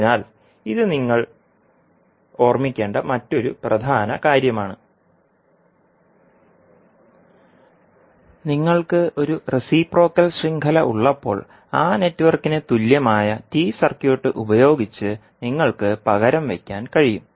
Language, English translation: Malayalam, So, this is another important property which you have to keep in mind and when you have a reciprocal network, you can replace that network by an equivalent T circuit